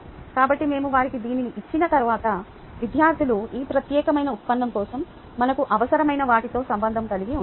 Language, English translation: Telugu, so once we have given them this, then students are able to relate to what we need for this particular derivation